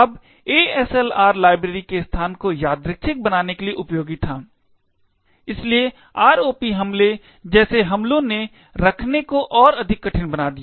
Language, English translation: Hindi, Now ASLR was useful to actually randomise the location of libraries, therefore making attack such as the ROP attack more difficult to actually mount